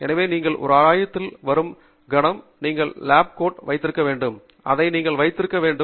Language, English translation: Tamil, So, the moment you come to a lab, you should have a lab coat and you should put it on